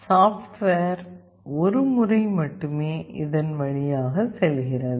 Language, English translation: Tamil, The software only goes through this once